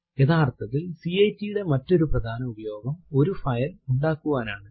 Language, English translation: Malayalam, Infact the other main use of cat is to create a file